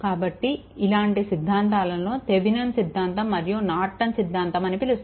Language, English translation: Telugu, And, so such theorems are called sometime Thevenin’s theorem and Norton’s theorem right